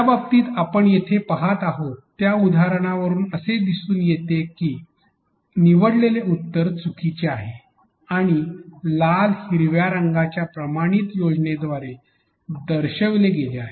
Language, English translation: Marathi, In the case what we see here the example shows that the answer given selected is wrong and denoted by a standard color scheme of red and green